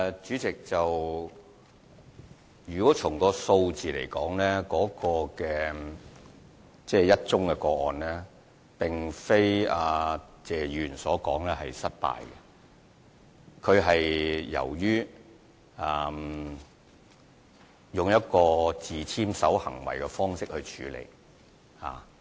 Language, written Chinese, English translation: Cantonese, 主席，從數字來看，只有1宗個案，但並不是謝議員所說的失敗個案，只是用了自簽守行為的方式處理。, President in terms of figures there was only one case but it was not an unsuccessful case as stated by Mr TSE; it was only handled by having the defendant bound over to be of good behaviour